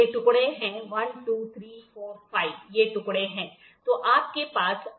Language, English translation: Hindi, These are the pieces 1, 2, 3, 4, 5 these are the pieces